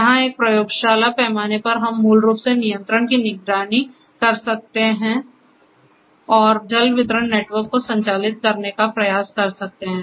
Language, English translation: Hindi, Where, we can on a lab scale we can basically monitor control and try to operate a water distribution network